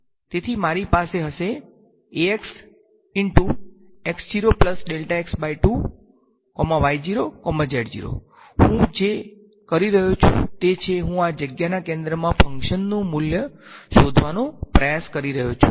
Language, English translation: Gujarati, So, I am what I am doing is, I am trying to find out the value of the function at the center of this space